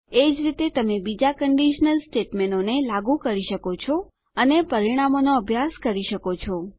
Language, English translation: Gujarati, In the same manner, you can apply other conditional statements and study the results